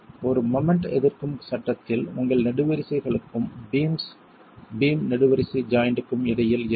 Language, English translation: Tamil, In a moment resisting frame you would have between the columns and the beams in a beam column joint